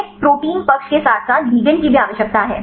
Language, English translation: Hindi, We need the protein side as well as the ligand